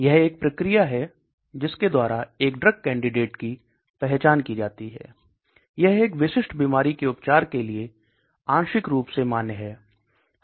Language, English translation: Hindi, So what is this drug discovery, so this is the process by which a drug candidate is identified, it is partially validated for the treatment of a specific disease